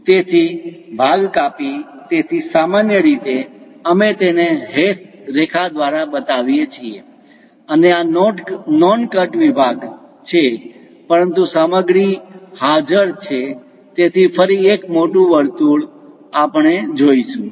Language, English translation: Gujarati, So, cut section, so usually, we show it by hash line, and this is non cut section; but material is present, so again a larger circle we will see